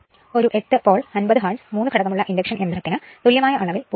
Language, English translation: Malayalam, So, an 8 pole, 50 hertz, 3 phase induction motor has an equivalent rotor resistance of 0